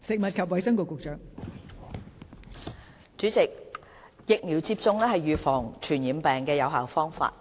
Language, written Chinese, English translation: Cantonese, 代理主席，疫苗接種是預防傳染病的有效方法。, Deputy President vaccination is an effective means to protect oneself against infectious diseases